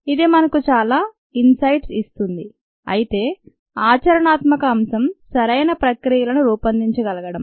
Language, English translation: Telugu, it also gives us a lot of insights, but the practical aspect is to be able to design appropriate processes